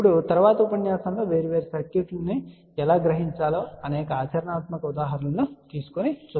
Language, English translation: Telugu, Now, in the next lecture we are going to take several practical examples of how to realize different circuits